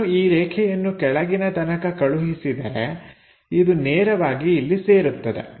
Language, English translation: Kannada, So, if I am moving this line all the way down, it straight away maps there